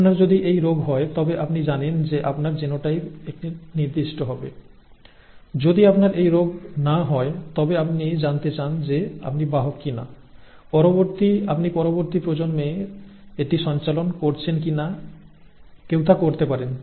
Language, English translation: Bengali, If you have the disease you know that your genotype could be a certain way, if you do not have the disease you would like to know whether you are a carrier, whether you are going to pass it on to the next generation, one can do that